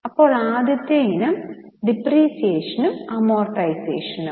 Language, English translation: Malayalam, The first item is depreciation and amortization expenses